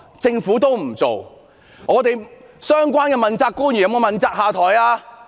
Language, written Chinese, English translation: Cantonese, 政府相關的問責官員有沒有問責下台呢？, Have the responsible officials of the Government taken the responsibility and stepped down?